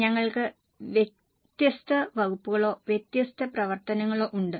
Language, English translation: Malayalam, We are having different departments or different functions